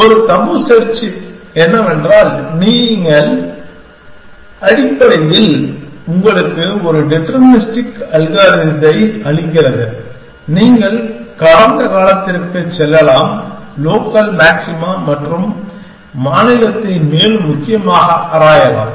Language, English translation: Tamil, And what tabu search does is that, it basically gives you a deterministic mechanism to say that you can go past, local maxima and explore the state further essentially